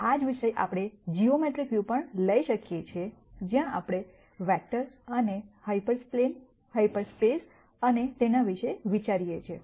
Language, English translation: Gujarati, The same subject we could also take a geometric view, where we think about vectors and hyperplanes, half spaces and so on